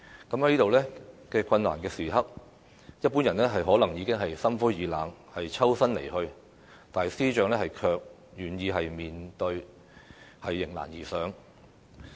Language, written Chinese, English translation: Cantonese, 在這樣困難的時刻，一般人可能已經心灰意冷，抽身離去，但司長卻願意面對，迎難而上。, At such a difficult moment an ordinary person would have been disheartened and departed but the Secretary for Justice is instead willing to face up to the situation and tackle the difficulties